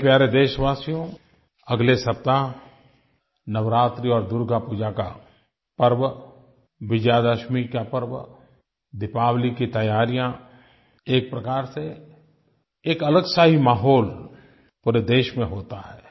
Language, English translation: Hindi, My dear countrymen, from next week festive season will be ushered in with Navratri and Durga Puja, Vijayadashmi, preparations for Deepavali and all such activities